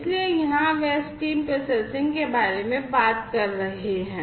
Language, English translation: Hindi, So, here they are talking about stream processing